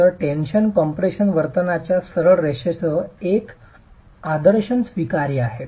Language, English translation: Marathi, So, an idealization with a straight line of the tension compression behavior is acceptable